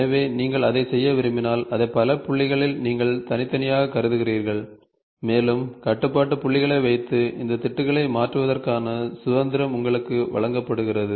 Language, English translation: Tamil, So, if you want to do that, now what you do is you discretize them at several points and you are given the freedom of changing the or placing the control points and changing these patches ok